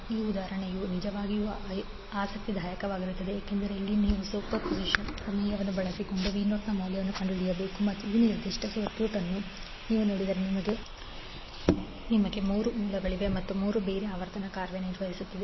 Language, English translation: Kannada, This example will be really interesting because here we need to find out the value of V naught using superposition theorem and if you see this particular circuit you will have three sources and all three are operating at a different frequency